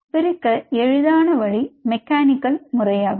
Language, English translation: Tamil, easiest way to dissociate will be mechanically